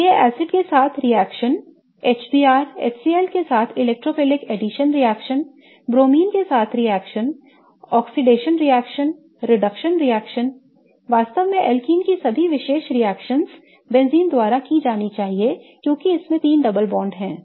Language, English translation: Hindi, So, these include reactions with acids, electrophilic addition reactions with HBR, HCL, reactions with bromine, oxidation reactions, reduction reactions, really all the characteristic reactions of alkenes should be really done by benzene because it has three double bonds